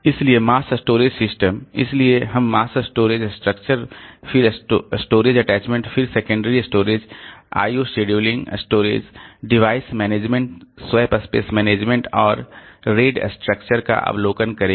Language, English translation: Hindi, So, mass storage systems, so we'll be looking into overview of mass storage structure, then storage attachments, then secondary storage IOC due link, storage device management, swap space management and array ID structure